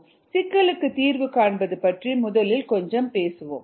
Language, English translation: Tamil, let me first talk a little bit about problem solving